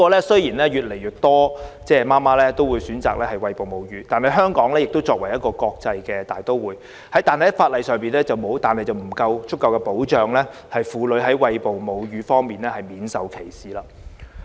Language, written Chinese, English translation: Cantonese, 雖然越來越多母親選擇餵哺母乳，香港作為國際大都會，在法例上卻未有提供足夠保障，令婦女在餵哺母乳時免受歧視。, Although an increasing number of mothers have opted for breastfeeding as an international city Hong Kong has no laws to offer pregnant women sufficient protection from being discriminated while breastfeeding